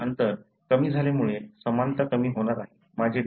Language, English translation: Marathi, The similarity is going to decrease with genetic distance decreasing